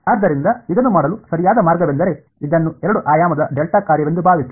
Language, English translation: Kannada, So, the correct way to do it would be just think of this as a two dimensional delta function right